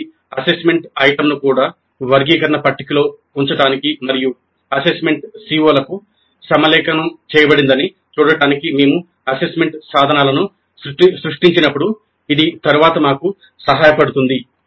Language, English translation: Telugu, This helps us later when we create assessment instruments to place each assessment item also in the taxonomy table and see that the assessment is aligned to the COs